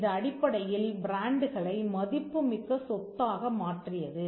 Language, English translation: Tamil, This essentially made the brands a valuable asset in itself